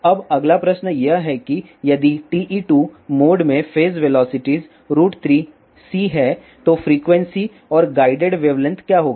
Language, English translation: Hindi, Now, the next question is if the phase velocity in TE 2 mode isroot 3 c, then what will be the frequency and guided wavelength